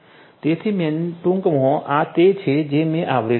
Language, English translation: Gujarati, So, in a nutshell this is what I have you know covered